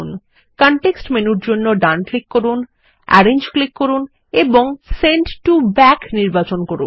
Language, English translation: Bengali, Right click for the context menu, click Arrange and select Send to Back